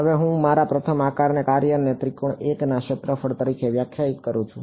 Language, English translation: Gujarati, Now I define my first shape function as the area of triangle 1